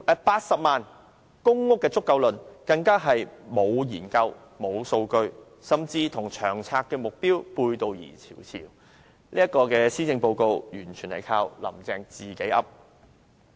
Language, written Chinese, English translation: Cantonese, "80 萬公屋便足夠論"更是沒有研究、沒有數據支持，甚至與長策會的目標背道而馳，這份施政報告完全由"林鄭""自己噏"。, What is more the claim of 800 000 PRH units being sufficient which is supported by neither research findings nor data runs counter to the target set down by LTHS Steering Committee . This Policy Address is purely an expression of Carrie LAMs whim